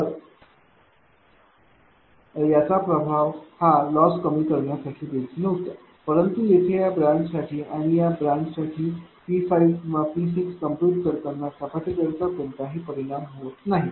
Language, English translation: Marathi, So, it effect is there also for loss reduction, but here for this branch and this branch there is no effect is coming for the capacitor whether computing P 5 or P 6 there is no effect is coming